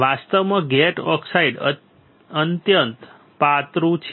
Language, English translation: Gujarati, Actually the gate oxide is extremely thin